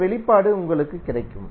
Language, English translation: Tamil, You will get this expression